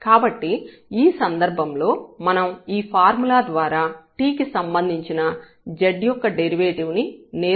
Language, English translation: Telugu, So, basically this z is a function of t and then we can define here the derivative of z with respect to t directly